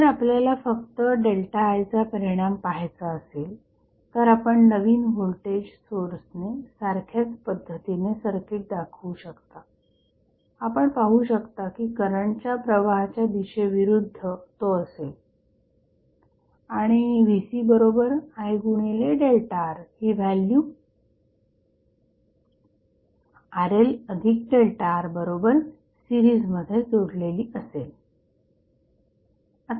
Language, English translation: Marathi, So, what you can represent equally that if you want to see the impact of only the delta I, you can equally represent the circuit as the new voltage source we see which opposes the direction of the flow of the current and the value of Vc is I into delta R which would be connected in series with Rl plus delta R